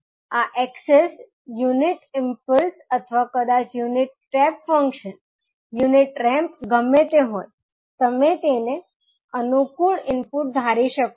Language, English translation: Gujarati, So, this access can be either unit impulse or maybe unit step function, unit ramp, whatever it is, you can assume it convenient input